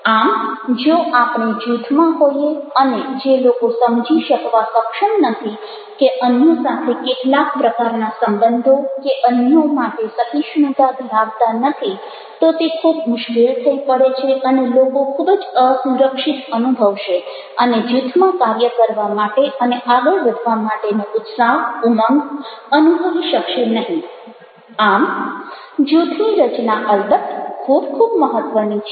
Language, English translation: Gujarati, so if we are in a group and the people are not able to understand and having some sort of ah relationship and ah, ah tolerance for others, then it becomes very difficult and people will feel very insecure and will not get that kind of enthusiasm, that kind of zeal to go ahead and work in a group